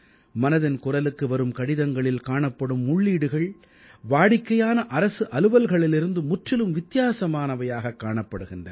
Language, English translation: Tamil, The letters which steadily pour in for 'Mann Ki Baat', the inputs that are received are entirely different from routine Government matters